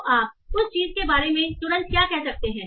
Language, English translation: Hindi, So what can you say immediately about that thing